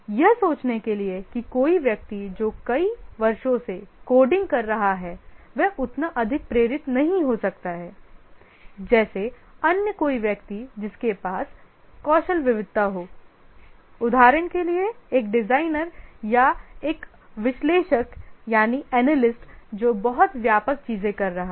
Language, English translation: Hindi, To think of it, just somebody who is doing coding over several years may not be as highly motivated as somebody who is having skill variety, for example a designer or an analyst who is having a much wider things to do